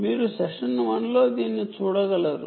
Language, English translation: Telugu, you can see that it is in session one